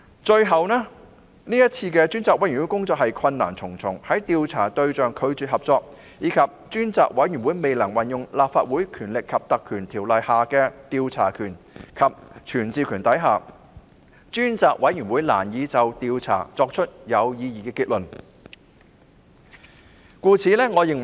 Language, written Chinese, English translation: Cantonese, 最後，專責委員會的工作困難重重，由於調查對象拒絕合作，加上專責委員會未能運用《立法會條例》的調查權及傳召權，專責委員會難以作出有意義的調查結論。, Lastly the Select Committee has encountered numerous difficulties . Given the refusal of subjects of investigation to cooperate coupled with the failure of the Select Committee to exercise the investigation and summoning powers under the Legislative Council Ordinance it has been difficult for the Select Committee to arrive at any meaningful conclusion from the investigation